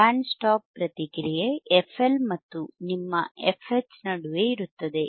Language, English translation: Kannada, aA band stop response is between f L and your f H right